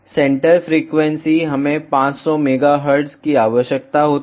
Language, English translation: Hindi, Centre frequency we require is 500 megahertz